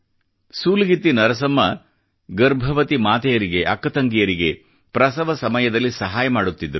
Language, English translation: Kannada, SulagittiNarsamma was a midwife, aiding pregnant women during childbirth